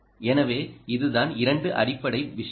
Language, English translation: Tamil, so that is, these are the two basic things anyway